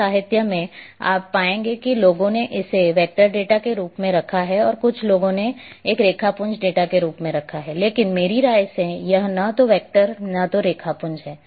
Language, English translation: Hindi, In some literature you will find the people have kept that as a vector data some people have kept as a raster data, but in my opinion it is a neither vector nor raster